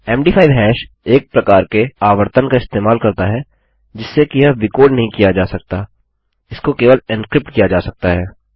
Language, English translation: Hindi, The MD5 hash uses a one way out rhythm so it cannot be decrypted it can only be encrypted